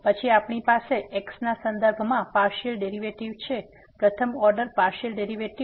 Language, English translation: Gujarati, Then we have the partial derivative with respect to the first order partial derivative